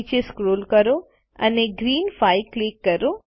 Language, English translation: Gujarati, Scroll down and click on Green 5